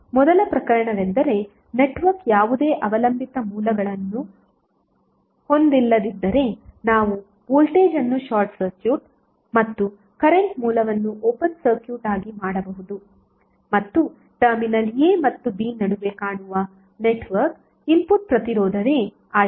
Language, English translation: Kannada, First case is that if the network has no dependent sources we can simply turn off all the independent sources like we can make the voltage as short circuit and current source as open circuit and then RTh is the input resistance of the network looking between terminal a and b